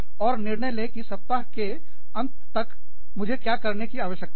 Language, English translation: Hindi, And, say, what do i need to do, by the end of this week